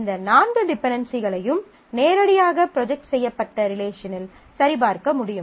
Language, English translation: Tamil, These four dependencies can be checked directly on the projected relations